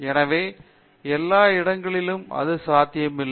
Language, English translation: Tamil, So, everywhere it is not possible